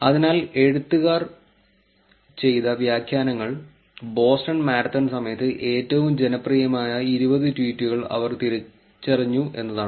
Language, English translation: Malayalam, So, the annotations that the authors did was they identified the top 20 most popular tweets during the Boston Marathon